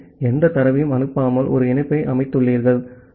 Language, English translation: Tamil, So, you have set up a connection at not sending any data